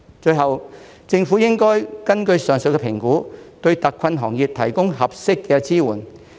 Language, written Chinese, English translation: Cantonese, 最後，政府應該根據上述評估，對特困行業提供合適的支援。, Finally the Government should provide appropriate support to hard - hit industries based on the above assessment